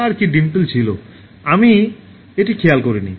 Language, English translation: Bengali, Did she have dimples, I didn’t note it